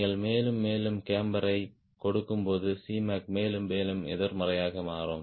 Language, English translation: Tamil, more and more camber you are giving c m a c will become more and more negative